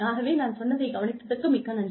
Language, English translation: Tamil, So, thank you very much, for listening to me